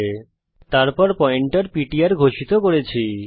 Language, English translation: Bengali, Then we have declared a pointer ptr